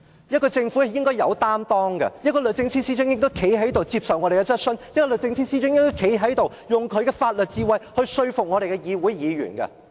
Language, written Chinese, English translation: Cantonese, 一個政府應該有擔當，一個律政司司長亦應該站在這裏接受我們的質詢，用她的法律智慧說服議員。, President a government should be accountable to its people and the Secretary for Justice should come over to this Council to answer our queries and to convince us with her legal knowledge